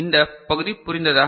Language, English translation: Tamil, Is this part understood